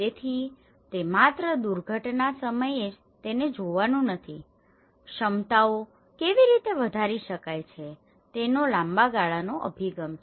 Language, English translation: Gujarati, So, itÃs not just only during the time of disaster one has to look at it, long run approach how the capacities could be enhanced